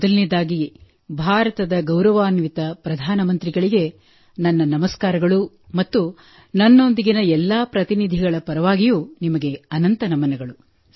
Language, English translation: Kannada, First of all, my Pranam to Honorable Prime Minister of India and along with it, many salutations to you on behalf of all the delegates